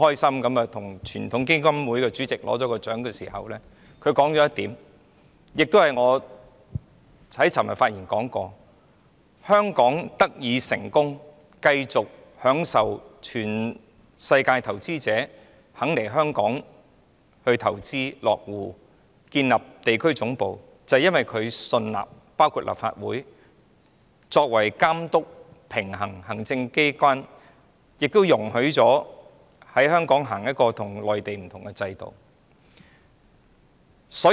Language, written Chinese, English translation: Cantonese, 她當時說到一點，這亦是我昨天發言時提及的，就是香港得以成功，讓全世界投資者願意來香港投資落戶、建立地區總部，是因為他們信納立法會會監督、平衡行政機關，確保香港實施與內地不同的制度。, She mentioned a point at that time which I also mentioned yesterday in my speech that is Hong Kongs success and the willingness of investors around the world to invest in Hong Kong to settle down and to set up regional headquarters should be attributed to their trust in the Legislative Council in monitoring and checking the power of the executive and ensuring that Hong Kong adopts a system different from that of the Mainland